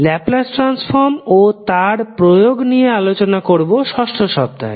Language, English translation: Bengali, The Laplace transform and its application will be discussed in the 6th week